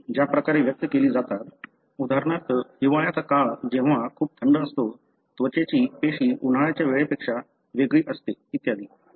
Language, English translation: Marathi, The way the genes are expressed during, for example winter time when it is very cold, skin cell is going to be different from summer time and so on